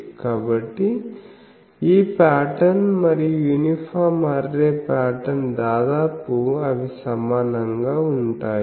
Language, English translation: Telugu, So, this pattern and the uniform array pattern, almost they are similar ok